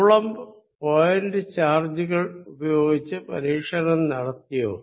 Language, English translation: Malayalam, Did Coulomb's do experiment with point charges